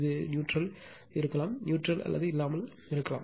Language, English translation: Tamil, This is neutral may be there, neutral may not be there